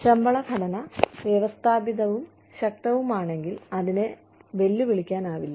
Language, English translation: Malayalam, If the pay structure is systematic and robust, it cannot be challenged